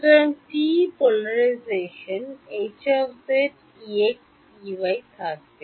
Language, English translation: Bengali, So, TE polarization will have H z E x E y